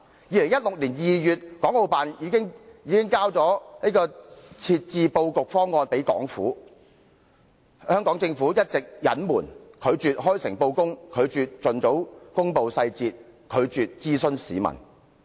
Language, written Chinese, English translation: Cantonese, 2016年2月，國務院港澳事務辦公室已提交設置布局方案予香港政府，但政府一直隱瞞，拒絕開誠布公和盡早公布細節，拒絕諮詢市民。, In February 2016 the Hong Kong and Macao Affairs Office of the State Council had already given to the Hong Kong Government the layout plan for the co - location arrangement but our Government has been concealing the truth from us and refused to make public as soon as possible the relevant details honestly . It even refused to consult the public as well